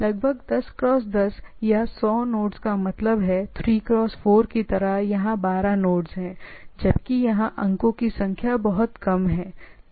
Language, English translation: Hindi, So, around means 10 cross 10 or 100 nodes right like 3 cross 4 here we are having 12 nodes; whereas, here the number of points have much less